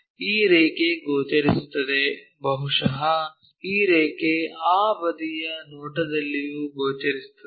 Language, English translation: Kannada, This line also will be visible, possibly this line also visible in that side view